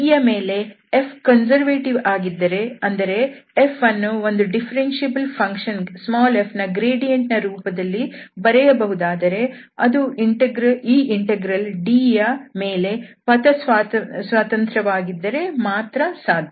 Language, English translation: Kannada, Then there exists a differentiable function f such that f is conservative in D that means F can be written as a gradient of f if and only if this integral is independent of path in D